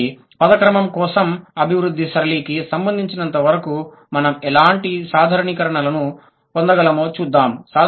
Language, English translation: Telugu, So, now let's see what kind of generalizations we can draw as far as the development pattern is concerned for the word order